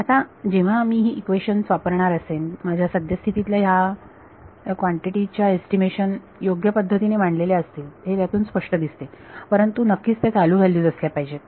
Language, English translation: Marathi, Now when I am going to use these equations, these had better represent my current estimate of these quantities sounds obvious, but of course, I they should be current